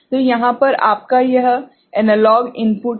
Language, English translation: Hindi, So, here this is your this analog input right